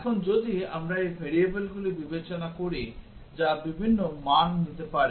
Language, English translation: Bengali, Now, if we consider these variables which can take different values